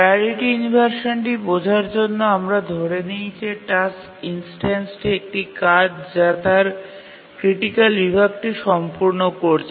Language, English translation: Bengali, To understand what is priority inversion, let's assume that a task instance that is a job is executing its critical section